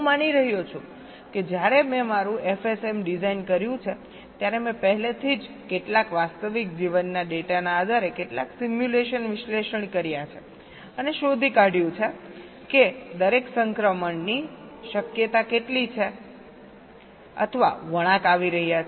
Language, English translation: Gujarati, i am assuming that when i have designed my f s m, i have already done some simulation analysis based on some real life kind of data and found out how many or what is the chance of each of the transitions means it turns are occurring